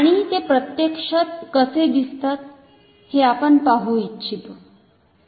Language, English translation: Marathi, And, we would like to see how they actually look like